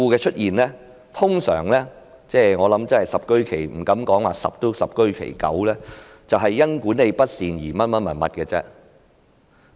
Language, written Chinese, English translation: Cantonese, 出現這些事故，我不敢說十居其十，但十居其九都是因管理不善所致。, Regarding the occurrence of these incidents I venture to say that 90 % if not all of these cases were caused by poor management